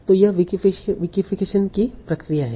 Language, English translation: Hindi, So what is Wikifixen doing